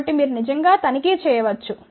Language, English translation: Telugu, So, you can actually do the checking